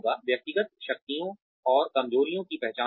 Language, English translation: Hindi, Identifying individual strengths and weaknesses